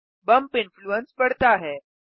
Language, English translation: Hindi, The bump influence is increased